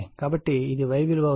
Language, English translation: Telugu, So, this is the Y